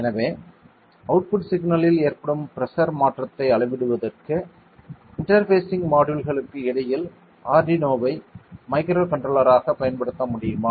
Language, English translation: Tamil, So, can I use an Arduino as a controller in between as an interfacing module to measure the change in the pressure at the output signal